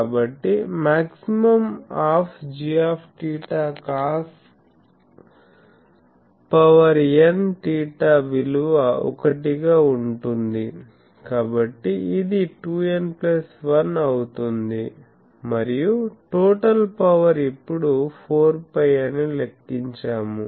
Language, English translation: Telugu, So, maximum of g theta cos n theta can have maximum value 1; so that means, it will be 2 n plus 1 and total power radiated just now we have calculated 4 pi